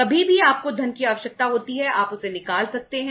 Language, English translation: Hindi, Anytime you need the funds you withdraw it